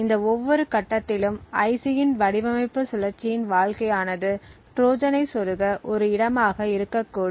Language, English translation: Tamil, So, every other stage during this life's IC design cycle could potentially be spot where a Trojan can be inserted